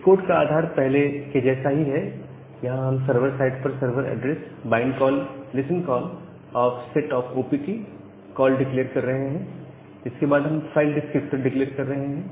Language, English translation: Hindi, So, the base part of the code is same as earlier we are declaring the server address, the bind call, the listen call at the server side the set sock opt call and after that we are declaring the file descriptor